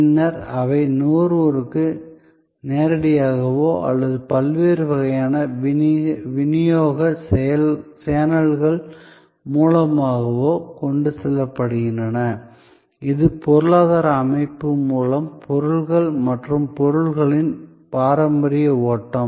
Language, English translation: Tamil, And then, they are taken to the consumer either directly or through different kinds of channels of distribution, this is the traditional flow of goods and products through the economic system